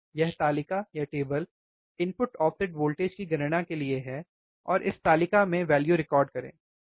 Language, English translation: Hindi, This is the table calculate input offset voltage and record the value in table, so easy right